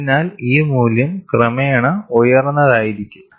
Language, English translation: Malayalam, So, this value will be eventually higher